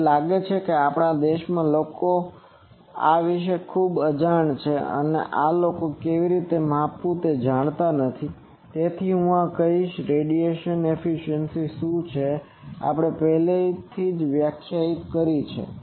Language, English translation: Gujarati, I find that in our country people are very unaware of this and how to measure these people do not know, so I will say this that what is radiation efficiency we have already defined it